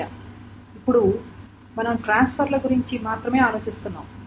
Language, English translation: Telugu, This is we are only worried about transfers now